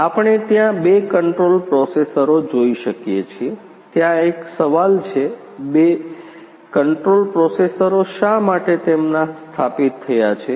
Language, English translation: Gujarati, Here we can see the two control processors are there say, one question is there, why two control processors are installed heres